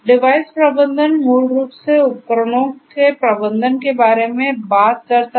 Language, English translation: Hindi, Device management basically talks about managing the devices; managing the devices